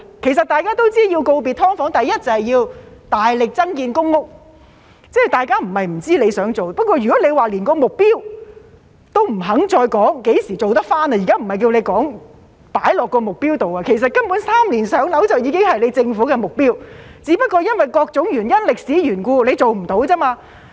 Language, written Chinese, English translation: Cantonese, 其實大家也知道，要告別"劏房"，第一就要大力增建公屋，大家不是不知局長想做，但如果連何時做得到的目標也不肯再說......現在不是叫局長定下目標，根本"三年上樓"已經是政府的目標，只不過因為各種原因及歷史緣故做不到而已。, In fact we all know that in order to bid farewell to SDUs the first thing we need to do is to vigorously increase the number of PRH units and it is not that we do not know what the Secretary wants to do it but if he is not even willing to say when the target will be achieved Now we are not asking the Secretary to set a target the Government has basically set the target of three - year waiting time for PRH only that for various reasons and historical causes it has not been achieved